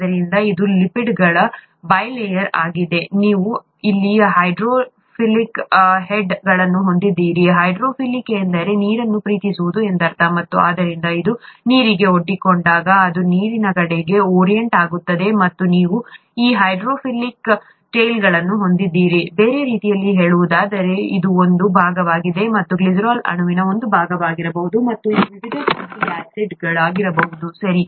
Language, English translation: Kannada, So this is the bi layer of lipids, you have the hydrophilic heads here, hydrophilic just means water loving, and therefore when it is exposed to water, it will tend to orient itself towards water, and you have these hydrophobic tails; in other words, this is a part, this could be a part of the glycerol molecule and this could be the various fatty acids, okay